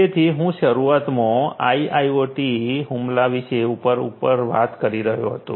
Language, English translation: Gujarati, So, I was talking at the outset about the IIoT attack surface